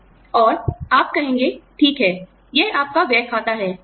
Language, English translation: Hindi, And, you will say, okay, this is your spending account